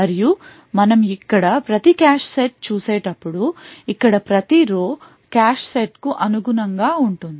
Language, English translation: Telugu, And each cache set as we see over here, each row over here corresponds to a cache set